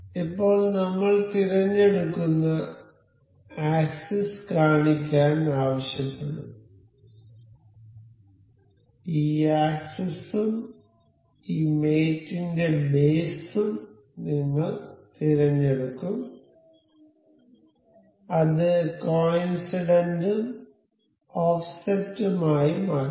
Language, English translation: Malayalam, So, now we will select the we will ask for to show the axis, we will select this axis and base of this mate we will make it coincident and at a offset